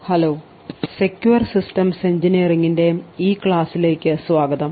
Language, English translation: Malayalam, Hello and welcome to this lecture in a course for Secure Systems Engineering